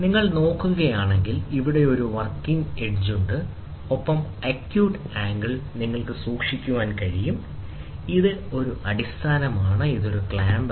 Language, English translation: Malayalam, So, if you look at it, here is a working edge, you can keep, and acute angle, this is a base, this is a clamp